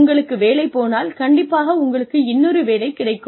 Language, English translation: Tamil, If you miss out on one job, you will find another one